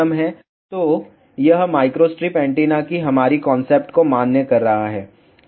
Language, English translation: Hindi, So, it is validating our concept of micro strip antenna